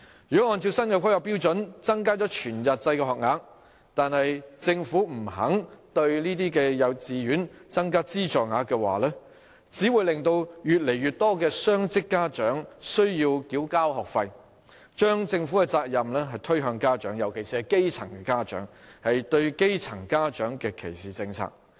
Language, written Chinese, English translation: Cantonese, 如果按照新的規劃標準增加了全日制學額，但政府不肯向這些幼稚園增加資助額，只會令越來越多雙職家長需要繳交學費，將政府的責任推向家長，尤其是基層家長，是對基層家庭的歧視政策。, If following the increase of whole - day places under the new planning standard the Government is unwilling to increase subsidies for the kindergartens concerned more and more dual - income parents will be made to pay tuition fees and the responsibility of the Government will be shifted onto parents particularly grass - roots parents . Such a policy will discriminate against grass - roots families